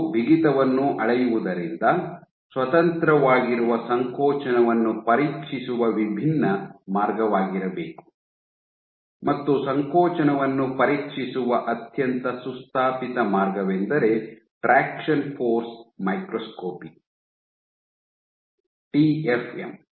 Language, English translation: Kannada, So, they have to be a different way of probing contractility independent of measuring stiffness, and one of the most well established ways of probing contractility is traction force microscopy